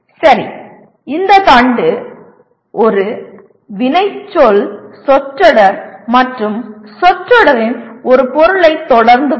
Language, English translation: Tamil, Okay, this stem will be followed by a verb phrase and an object of the phrase